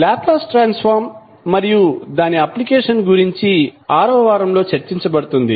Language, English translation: Telugu, The Laplace transform and its application will be discussed in the 6th week